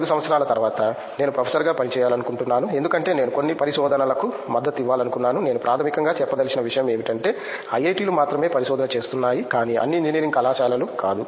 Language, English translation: Telugu, After 5 year, I want to see myself as a working as a professor, because I wanted to support some research, I mean to say only IITs are doing research basically not all engineering colleges